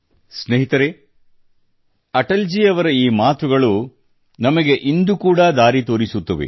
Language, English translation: Kannada, these words of Atal ji show us the way even today